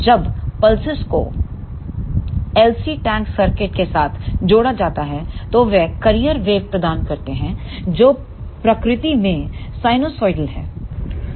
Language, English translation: Hindi, When these pulses are connected with LC tank circuit then they provide the carrier wave which is of sinusoidal in nature